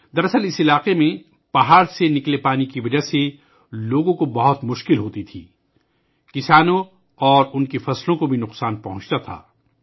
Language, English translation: Urdu, In fact, in this area, people had a lot of problems because of the water flowing down from the mountain; farmers and their crops also suffered losses